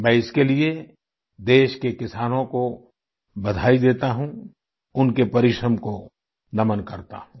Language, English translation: Hindi, For this I extend felicitations to the farmers of our country…I salute their perseverance